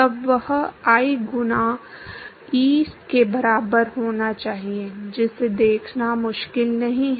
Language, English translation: Hindi, Then that should be equal to I times E, that is not difficult to see that